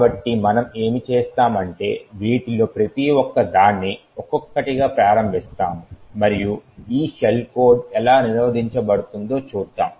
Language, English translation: Telugu, So, what we will do is that we will enable each of these one by one and then we will see how this shell code is prevented